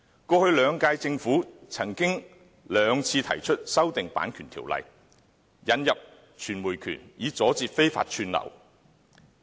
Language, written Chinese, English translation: Cantonese, 過去兩屆政府曾兩次提出修訂《版權條例》，引入傳播權，以阻截非法串流。, The past two terms of Government have proposed amending the Copyright Ordinance CO twice in order to introduce the right of communication and block illegal streaming